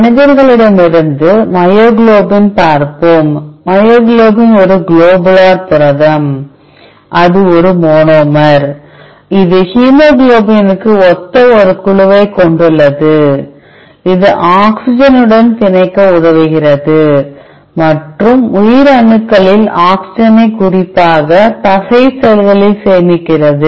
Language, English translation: Tamil, Let us see the entry myoglobin from humans, myoglobin is a globular protein it is a monomer, it has an in group similar to hemoglobin, it is helping binding to oxygen and storing oxygen in cells especially muscle cells